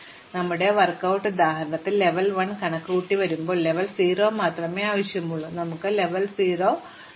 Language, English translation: Malayalam, But, we saw that in our work out example, that when you need to compute the level 1, we only need level 0, then we can throw a level 0